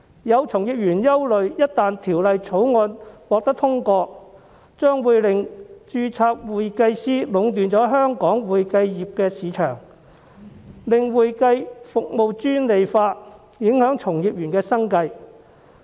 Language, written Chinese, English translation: Cantonese, 有從業員憂慮，一旦《條例草案》獲得通過，將會令註冊會計師壟斷香港會計業市場，令會計服務專利化，從而影響從業員生計。, Some practitioners worry that once the Bill is passed registered accountants will monopolize the accounting services market of Hong Kong thereby making the provision of accounting services exclusive and affecting the livelihood of practitioners